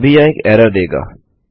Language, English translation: Hindi, Right now, this will return an error